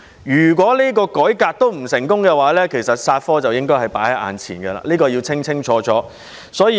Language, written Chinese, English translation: Cantonese, 如果改革依然不成功，"殺科"便在眼前，這點是要清清楚楚的。, If the reform still fails to achieve success then killing the subject will be what lies ahead . This point must be made clear